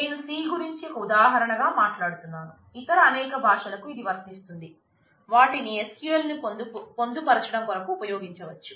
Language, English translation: Telugu, I am talking about C, again just as an example if this is true for other several other languages which can be used as used for embedding SQL within them